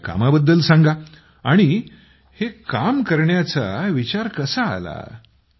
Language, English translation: Marathi, Tell us about your work and how did you get the idea behind this work